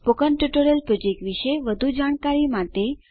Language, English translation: Gujarati, To know more about the spoken tutorial project